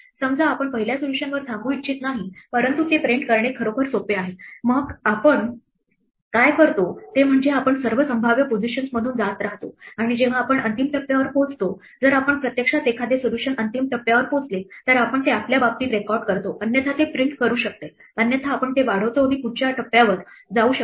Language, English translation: Marathi, Supposing we do not want to stop at the first solution, but keep printing out it is actually much easier; then what we do is we just keep going through all possible positions and whenever we reach the final step if we actually a solution reaches the final step then we record it in our case it might print it otherwise we extend it and go to the next one